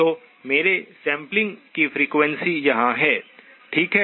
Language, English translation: Hindi, So my sampling frequency is here, okay